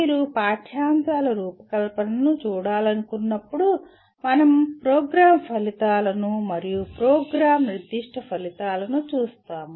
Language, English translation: Telugu, When you want to look at the curriculum design then we are looking at more at the program outcomes and program specific outcomes and so on